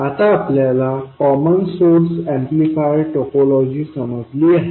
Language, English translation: Marathi, We now understand the basic common source amplifier topology